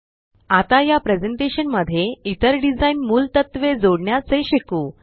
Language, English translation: Marathi, Lets now learn how to add other design elements to this presentation